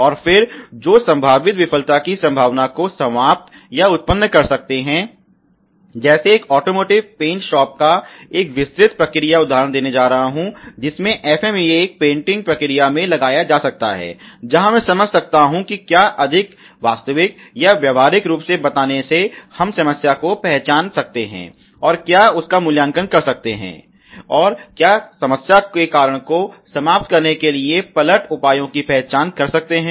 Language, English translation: Hindi, And then you identify some action that could eliminate or produce chances of the potential failure occurring, I am going to give you a detail process example of a auto motive paint shop that I have FMEA can carried out in a painting process where will understand what I am telling more realistically or practically where we recognize and evaluate problem and identifies counter measures to a eliminate possible the cause of the problem